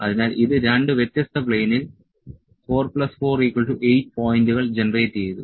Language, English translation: Malayalam, So, it has generated 4 plus 4, 8 points in two different planes